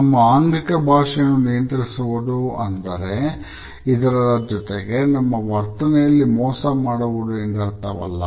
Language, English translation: Kannada, Controlling our body language does not mean that we have to learn to be deceptive in our behaviour towards other people